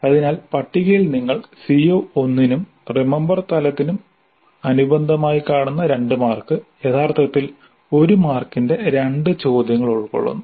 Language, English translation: Malayalam, So in the table if you see corresponding to CO1 corresponding to remember level two marks are actually composed with two questions, each of one mark